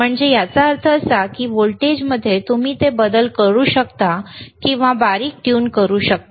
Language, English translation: Marathi, So that means, that in voltage, you can course change it or you can fine tune it,